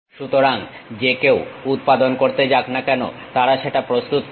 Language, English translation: Bengali, So, whoever so going to manufacture they will prepare that